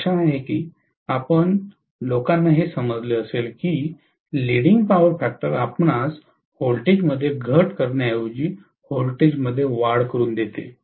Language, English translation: Marathi, I hope so that you guys are understand why leading power factor actually gives you increase in the voltage rather than reduction in the voltage